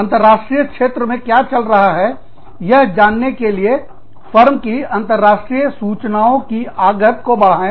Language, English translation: Hindi, Increase the firm's international information inputs, in order to know, what is required in the international arena